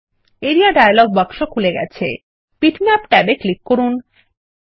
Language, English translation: Bengali, In the Area dialog box, click the Bitmaps tab